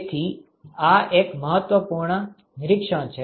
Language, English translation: Gujarati, So, this is an important observation